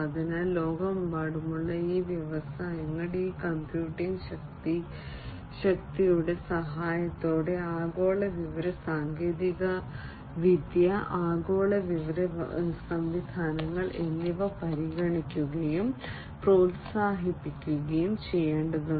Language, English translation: Malayalam, So, these industries worldwide are required to consider and promote global information technology, global information systems, with the help of this computing power